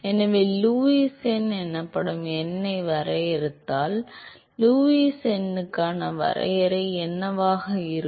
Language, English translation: Tamil, So, if we define a number called Lewis number what would be the definition for Lewis number